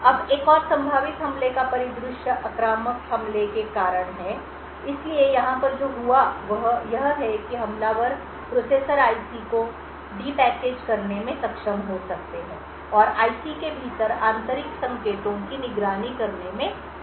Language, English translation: Hindi, Now another possible attack scenario is due to invasive attack, So, what happened over here is that attackers may be able to de package the processor IC and will be able to monitor internal signals within the IC